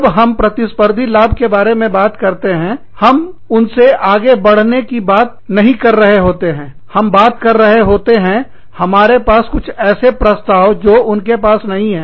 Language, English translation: Hindi, When we talk about competitive advantage, we are talking, not about overtaking them, we are talking about, having something in our offering, that they do not have